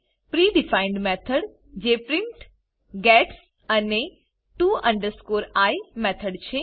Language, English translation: Gujarati, Pre defined method that is print, gets and to i method